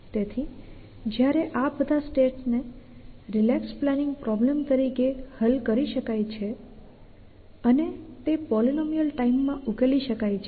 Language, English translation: Gujarati, So if each of the, these states can be solve can be foes as a relax planning problem and it can be solve in palynology time